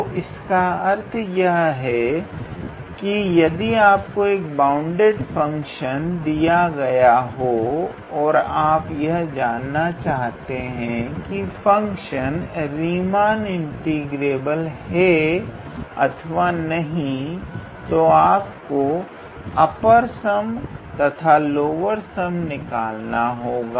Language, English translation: Hindi, So, that means if you are given a bounded function f and if you would like to see whether that function is Riemann integrable or not then we have to calculate the upper sum and the lower sum